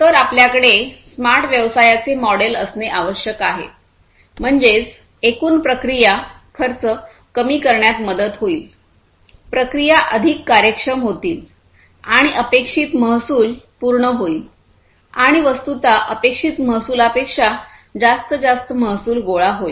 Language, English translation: Marathi, So, you need to have a smart business model, that is, that will help in reducing the overall process cost, making the processes more efficient and meeting the expected revenue and in fact, you know, exceeding the expected revenue